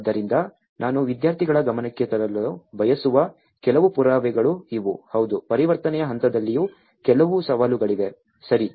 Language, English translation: Kannada, So, these are some of the evidences which I want to bring to the students notice that yes, there are some challenges in the transition phase as well, okay